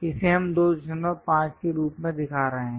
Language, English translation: Hindi, This one we are showing as 2